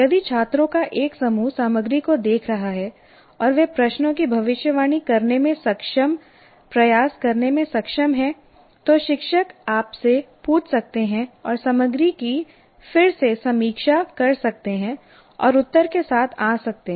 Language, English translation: Hindi, If a group of students are looking at the content and they are able to try to predict the questions, the teacher might ask, you will go around and review the content and come with the answers